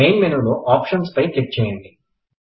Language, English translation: Telugu, From the Main menu, click Options